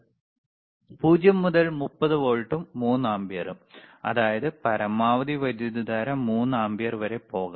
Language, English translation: Malayalam, 0 to 30 volts and 3 ampere;, means, maximum current can be 3 ampere